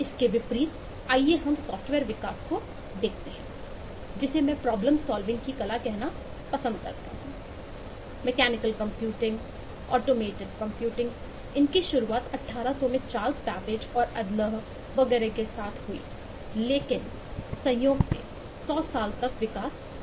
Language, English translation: Hindi, mechanical computing, automated computing started in early 1800 with babbages, Charles babbage and adalh and so on, but incidentally, there was not much development for over a hundred years afterwards